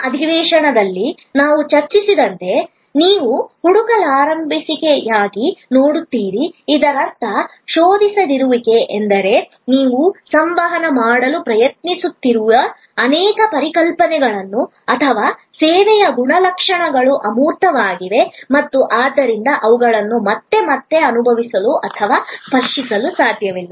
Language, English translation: Kannada, You will see for the non searchability as we discussed in the previous session; that means non searchability means that, many of the concepts that you are trying to communicate or properties of the service are abstract and therefore, they cannot be again and again felt or touched